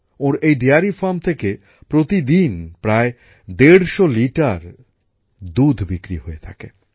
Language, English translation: Bengali, About 150 litres of milk is being sold every day from their dairy farm